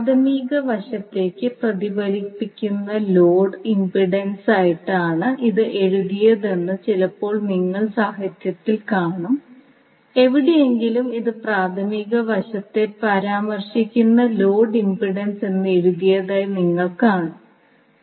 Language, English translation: Malayalam, So, sometimes you will see in the literature it is written as the load impedance reflected to primary side and somewhere you will see that it is written as load impedance referred to the primary side